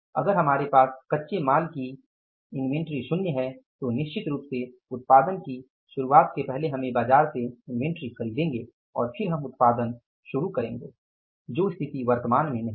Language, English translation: Hindi, If we have zero inventory with us of the raw material then certainly for the beginning of the production we will first purchase the inventory from the market and then we will go for starting the production which is not the case in the current situation